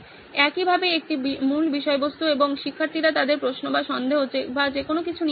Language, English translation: Bengali, Similarly a base content and students come up with their questions or doubts or whatsoever